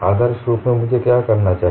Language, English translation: Hindi, Ideally what I should do